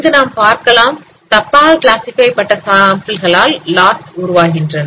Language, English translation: Tamil, Here now we can see that each wrongly classified sample produces a loss